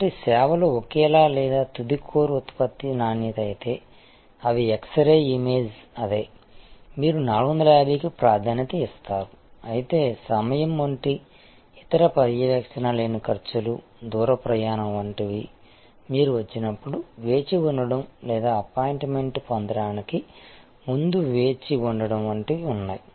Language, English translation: Telugu, So, if the services same or the quality of the final core product, which is they are x ray image is the same, you prefer 450, but there are other non monitory costs like time, like distance travel, like the wait when you arrive or wait before you get an appointment